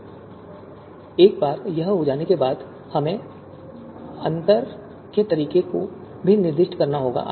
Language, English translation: Hindi, So once this is done, we also need to specify the you know mode of you know you know difference